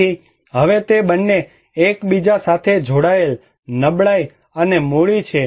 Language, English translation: Gujarati, So, now they both are interlinked, vulnerability, and capital